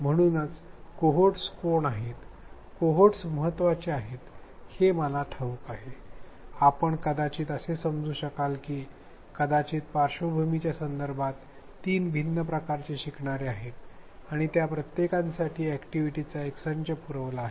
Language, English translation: Marathi, So, that is why I knowing who the cohorts are, what the cohorts are is important, you may feel you may learn that there are maybe three different types of learners in terms of the backgrounds and provide a set of activities for each of them